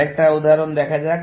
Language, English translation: Bengali, Let me take another example